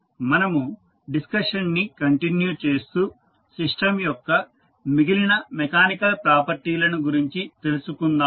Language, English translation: Telugu, We continue our discussion and we will try to understand some other mechanical properties of this system